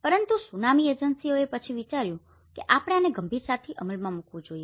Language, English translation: Gujarati, So, but after the Tsunami agencies have thought that we should seriously implement this